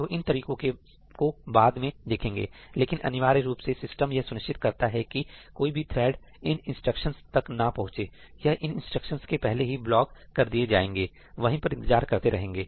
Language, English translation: Hindi, So, we will get into those later, but essentially the system can ensure for you that the other thread will not even reach this instruction; it will get blocked before this instruction; it will wait there